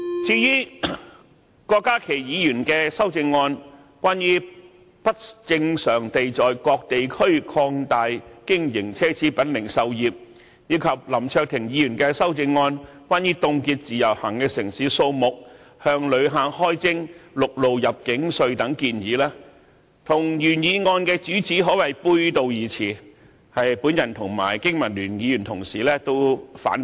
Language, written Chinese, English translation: Cantonese, 至於郭家麒議員的修正案，關於不正常地在各地區擴大經營奢侈品零售業，以及林卓廷議員的修正案，關於凍結"自由行"的城市數目，向旅客開徵陸路入境稅等建議，與原議案的主旨可謂背道而馳，我和經民聯同事均反對。, As regards the amendment of Dr KWOK Ka - ki on the abnormal expansion of retail luxury goods businesses in various districts and the amendment of Mr LAM Cheuk - ting on the proposal to freeze the number of Individual Visit Scheme cities and levy a land arrival tax on visitors they are contrary to the main theme of the original motion and both the colleagues from BPA and I oppose them